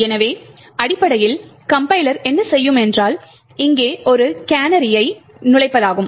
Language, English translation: Tamil, So, essentially what the compiler would do is insert a canary over here